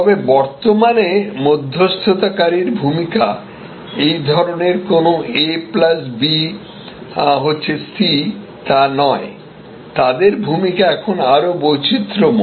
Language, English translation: Bengali, But, today the role of the intermediary is not this kind of a plus b, going to c, but the role of the intermediary is now more varied